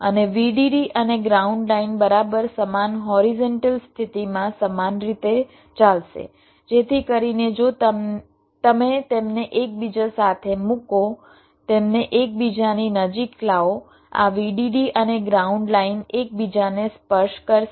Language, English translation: Gujarati, in the vdd and ground lines will be running similarly in the exact same horizontal positions so that if you put them side by side, bring them closer together, this vdd and ground lines will touch each other